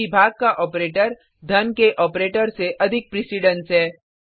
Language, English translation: Hindi, This is because the division operator has more precedence than the addition operator